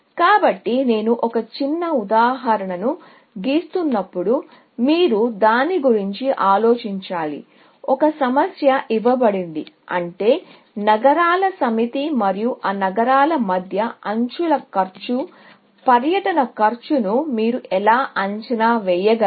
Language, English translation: Telugu, So, one thing that while I draw a small example, you should think about is; given a problem, which means given a set of cities, and the cost of edges between those cities; how can you estimate the cost of a tour